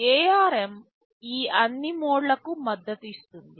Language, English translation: Telugu, ARM supports all these modes